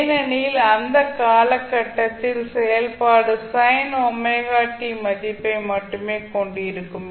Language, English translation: Tamil, Because for that period only the function will be having the value of sin omega t